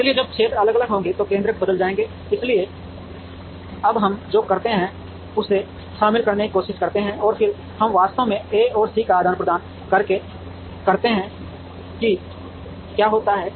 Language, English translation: Hindi, So, when the areas are different the centroids will change, so what we do now is we try to incorporate that, and then we actually exchange A and C to see what happens